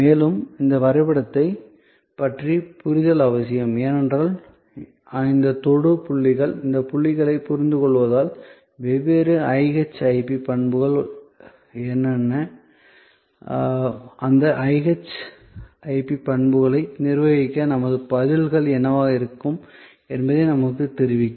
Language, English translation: Tamil, And this understanding of this map is necessary, because these touch points are understanding of this blocks will tell us that, what are the different IHIP characteristics and what should be our responses to manage those IHIP characteristics